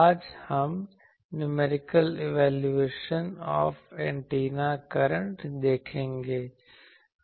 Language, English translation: Hindi, Today, we will see the Numerical Evaluation of Antenna Currents